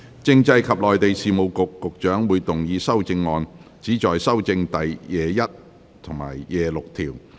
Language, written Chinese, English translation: Cantonese, 政制及內地事務局局長會動議修正案，旨在修正第21及26條。, The Secretary for Constitutional and Mainland Affairs will move amendments which seek to amend clauses 21 and 26